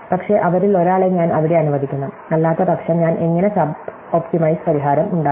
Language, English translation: Malayalam, But, I should allow one of them to be there, otherwise I made how sub optimize solution